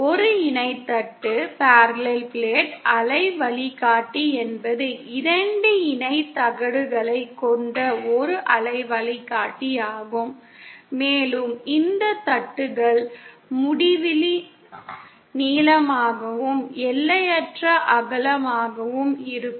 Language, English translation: Tamil, A Parallel Plate Waveguide is a waveguide which has two parallel plates and these plates are infinity long and infinitely wide